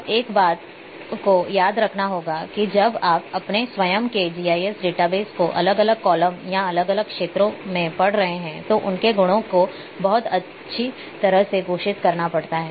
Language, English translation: Hindi, Now, one thing one has to be remember that a when you are reading your own GIS database different columns or different fields in your database their value their properties has to have to be declared very properly